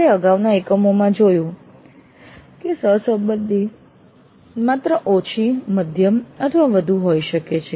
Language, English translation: Gujarati, This we have seen in the earlier units that the correlation strength can be low, moderate or high